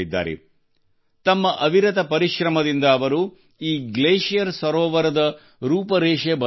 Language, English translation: Kannada, With his untiring efforts, he has changed the look and feel of this glacier lake